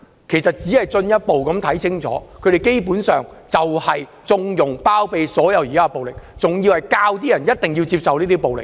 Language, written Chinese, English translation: Cantonese, 其實公眾可以進一步看清楚，他們根本就是要縱容及包庇所有暴力行為，還要教人接受這些暴力。, As a matter of fact the public can see it even more clearly that they actually want to connive at and harbour all acts of violence and to advocate the acceptance of such violence